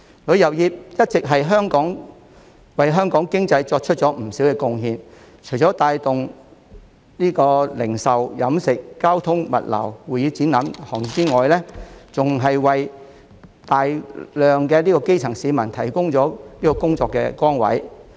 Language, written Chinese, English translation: Cantonese, 旅遊業一直為香港經濟作出不少貢獻，除帶動零售、飲食、交通、物流、會議展覽等行業之外，還為大量基層市民提供工作崗位。, The tourism industry has always contributed to the economy of Hong Kong . Not only does it drive the retail catering transportation logistics convention and exhibition industries but it also provides jobs for a large number of grassroots people